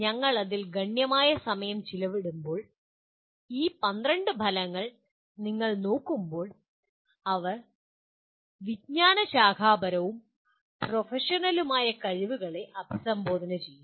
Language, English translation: Malayalam, And when you look at these 12 outcomes as we spend considerable time on that, they address both disciplinary and professional competencies